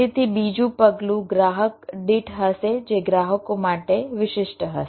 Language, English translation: Gujarati, so the seven step will be on a per customer basis that will be specific to the customers